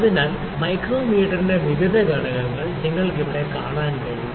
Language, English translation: Malayalam, So, the various components of micrometer you can see here